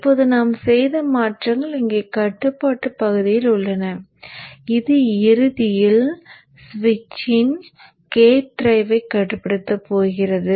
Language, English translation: Tamil, Now the changes that we have made is here in the control portion which ultimately is going to control the gate drive of the switch